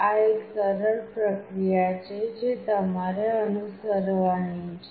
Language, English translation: Gujarati, This is a simple process that you have to follow